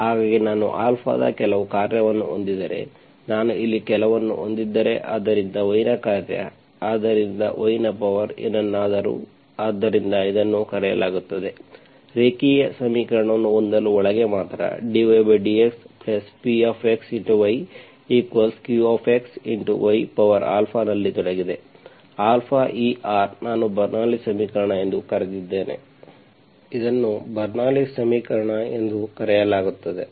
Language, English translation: Kannada, So if I have some function of Alpha, so if I have some Alpha here, so function of y, so y power something, so this is called, for have a linear equation, only right inside is involved in Q x into some by power Alpha, Alpha belongs to real, I called Bernoulli s equation, is called Bernoulli s equation